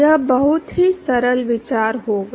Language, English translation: Hindi, It will be very simple idea